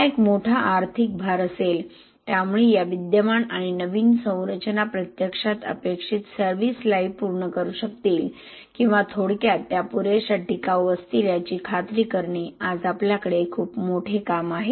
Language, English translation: Marathi, It will be a huge economic burden, so we have a huge task today in making sure that these existing and new structures will actually be able to meet the desired service life or in short they will be durable enough